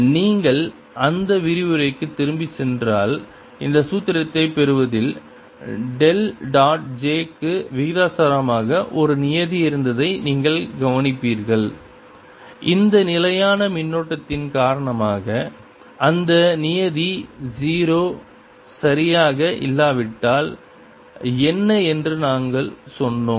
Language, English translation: Tamil, if you go back to that lecture you will notice that in deriving this formula along the way there was a term which was proportional to del dot j, which we said was zero because of this steady current